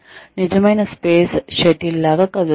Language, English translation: Telugu, That moves like a real space shuttle, would move